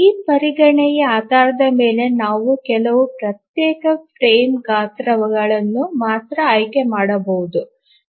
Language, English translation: Kannada, Based on this consideration, we can select only few discrete frame sizes